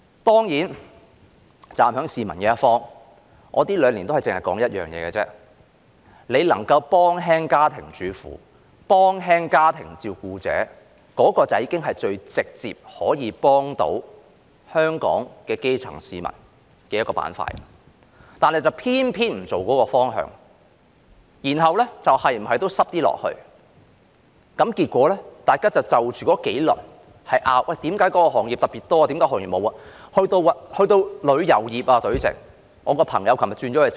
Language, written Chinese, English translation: Cantonese, 當然，站在市民一方，這兩年我只是提出一點：若能幫助家庭主婦和家庭照顧者減輕負擔，那便已是最直接幫助到香港基層市民的方法，但政府偏偏不朝這方向走，然後有理沒理的擠出一些措施，結果大家就着那幾輪防疫抗疫基金爭論，為何某些行業獲得特別多的支援，而其他行業卻沒有？, Certainly standing on the side of the public I have only raised one point in these two years If we can help housewives and family carers to alleviate their burden that would be the most direct way to help the grass roots in Hong Kong . However the Government chose not to move in this direction and then squeezed out some measures with or without reason . Consequently people argued over those several rounds of the Anti - epidemic Fund questioning why certain industries received more support while others did not get any